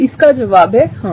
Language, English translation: Hindi, The answer is yes